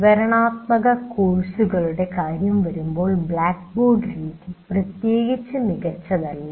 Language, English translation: Malayalam, But when it comes to descriptive courses, the blackboard method is not particularly great